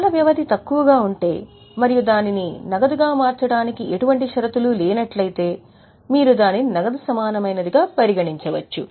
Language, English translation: Telugu, If the time period is short and there are no conditions attached for its conversion into cash, then you can consider it as a cash equivalent